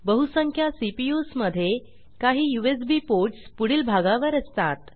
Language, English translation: Marathi, In most of the CPUs, there are some USB ports in the front and some at the back